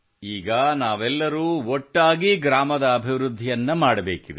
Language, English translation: Kannada, Now we all have to do the development of the village together